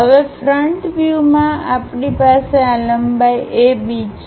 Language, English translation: Gujarati, Now in the front view we have this length A W